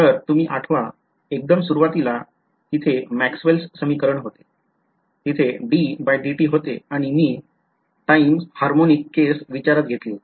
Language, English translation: Marathi, In the very beginning, there was a remember Maxwell’s equation; there was a d by d t and I assumed a time harmonic case